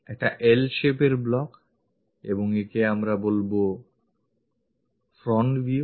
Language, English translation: Bengali, A block in L shape and we would like to say this one as the front view